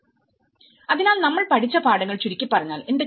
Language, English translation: Malayalam, So, what are the brief lessons we have learned